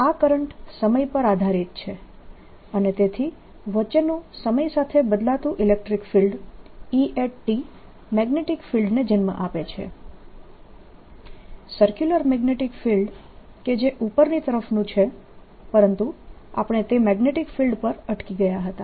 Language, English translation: Gujarati, this current is time dependent and therefore electric field in between, electric field in between e changes the time which gives rise to a magnetic field, circular magnetic field which is coming up